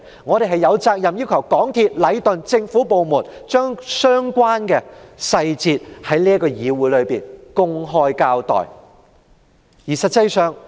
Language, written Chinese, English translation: Cantonese, 我們有責任要求港鐵公司、禮頓建築有限公司及政府部門，在議會內公開交代相關的細節。, We are duty - bound to request MTRCL Leighton Contractors Asia Limited Leighton and government departments to give an open account of the details in the Council